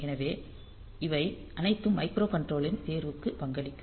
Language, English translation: Tamil, So, they all will contribute to the choice of the microcontroller